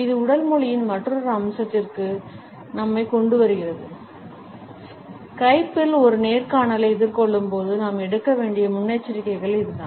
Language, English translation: Tamil, It brings us to another aspect of body language and that is the precautions which we should take while facing an interview on Skype